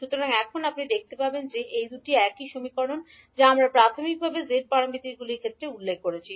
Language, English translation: Bengali, So now, you will see that these two are the same equations which we initially mentioned in case of g parameters